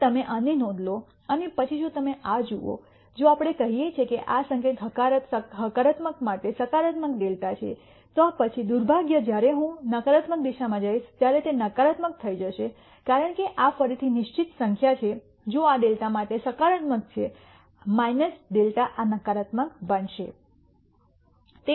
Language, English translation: Gujarati, Now, you notice this and then if you look at this, if let us say this sign is positive for positive delta then, unfortunately when I go in the negative direction it will become negative because this is again a xed number if this is positive for delta for minus delta this will become negative